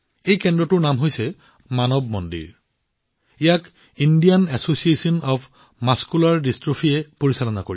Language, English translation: Assamese, The name of this centre is 'Manav Mandir'; it is being run by the Indian Association of Muscular Dystrophy